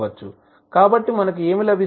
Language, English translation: Telugu, So, what we get